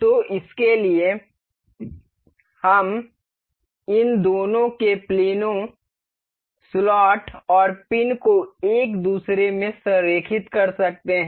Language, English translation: Hindi, So, for this we can align the planes of these two, the the slot and the pin into one another